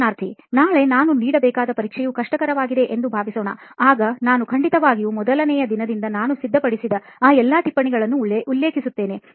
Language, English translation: Kannada, So suppose the paper which I have to give tomorrow was something which I find difficult, so surely I do refer to all those notes from the day one which I am preparing